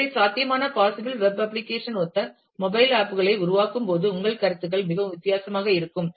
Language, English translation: Tamil, So, you while developing a mobile app corresponding to a possible web application, your considerations would be very different